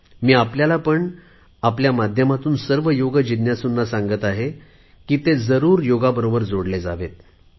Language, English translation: Marathi, To you and through you to all the people interested in Yoga, I would like to exhort to get connected to it